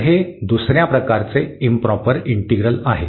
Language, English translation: Marathi, So, this is another for the second kind of integral